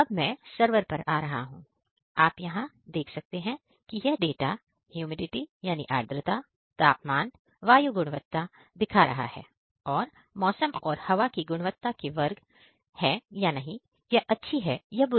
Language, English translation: Hindi, Now coming to the server, you can see here it is showing the data humidity, temperature, air quality and there is classes of the weather and air quality whether it is good or bad